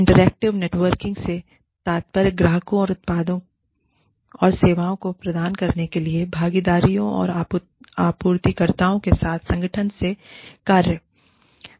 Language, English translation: Hindi, Interactive networking refers to, the work of the organization, with partners and suppliers, to provide products and services, to clients